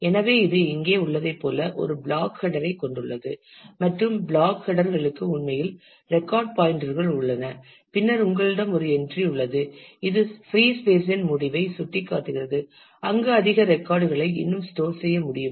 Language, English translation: Tamil, So, it has a block header as in here and the block header has actually pointers to the records and then you have a an entry which points to the end of the free space where more records can still be stored